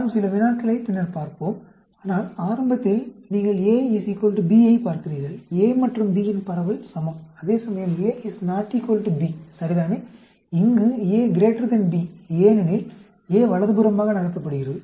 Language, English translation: Tamil, Let us look at some problems later on, but initially, you are looking at A is equal to B; distribution of A and B are same; whereas A is not equal to B right, here, A is greater than B, because A is shifted to the right